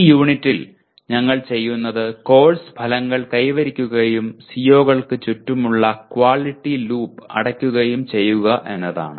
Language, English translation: Malayalam, In this unit what we will be doing is compute the attainment of course outcomes and close the quality loop around COs